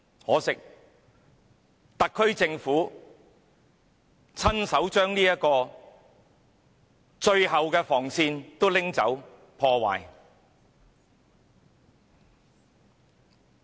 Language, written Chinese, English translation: Cantonese, 可惜，特區政府親手把這最後防線移除、破壞。, Regrettably the SAR Government has removed and destroyed this last line of defence with its own hands